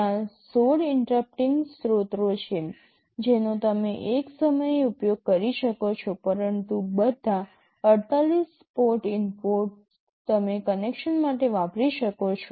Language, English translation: Gujarati, There are 16 interrupting sources you can use at a time, but all the 48 port inputs you can use for the connection